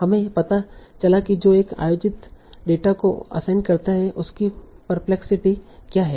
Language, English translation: Hindi, We found out what is a perplexity that it assigns to a held out data